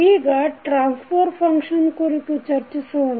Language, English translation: Kannada, Now, let us talk about the Transfer Function